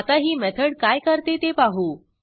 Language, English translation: Marathi, Let us see what we do in this method